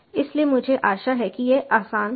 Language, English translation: Hindi, so i hope this was easy